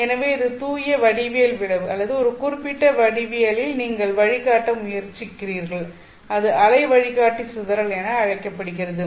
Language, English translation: Tamil, So this is the pure geometric effect or the fact that you are trying to guide in a particular geometry is called as the wave guide dispersion